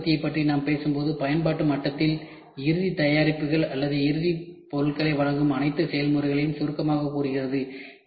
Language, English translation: Tamil, Then when we talk about Rapid Manufacturing, at the application level summarizes all processes that deliver final products or final parts that needed to be assembled to become a product